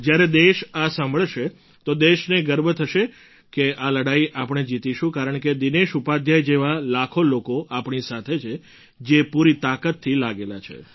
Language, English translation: Gujarati, When the country listens to this, she will feel proud that we shall win the battle, since lakhs of people like Dinesh Upadhyaya ji are persevering, leaving no stone unturned